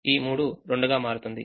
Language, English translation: Telugu, three becomes two